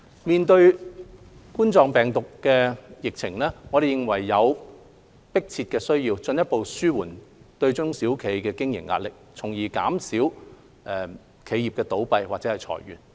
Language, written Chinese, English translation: Cantonese, 面對冠狀病毒病疫情，我們認為有迫切需要進一步紓緩中小企的經營壓力，從而減少企業倒閉或裁員。, With the COVID - 19 infections there is an urgent need to further alleviate the pressure on SMEs in business operations thereby reducing business closures and layoffs